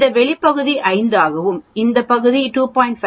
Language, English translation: Tamil, This outside area will become 5, this portion will be 2